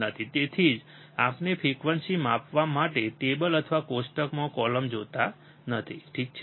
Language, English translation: Gujarati, So, that is why we are not looking at the table or a column in the table to measure the frequency, alright